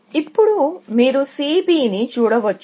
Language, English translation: Telugu, Now, you can see that C B